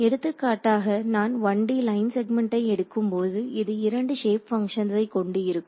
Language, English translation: Tamil, So, for example, when I took the 1 D line segment over here this had 2 shape functions right